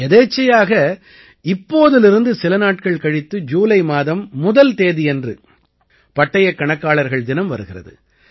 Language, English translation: Tamil, Coincidentally, a few days from now, July 1 is observed as chartered accountants day